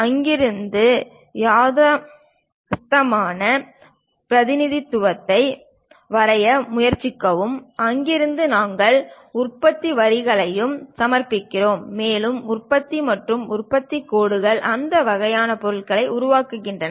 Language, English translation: Tamil, And from there try to draw the realistic representation; from there we submit to production lines; and manufacturing and production lines create that kind of objects